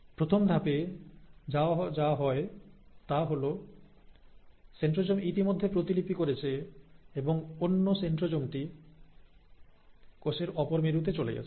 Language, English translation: Bengali, So what happens in the first step is that as I mentioned, the centrosome has already duplicated and the other centrosome has gone to the other pole of the cell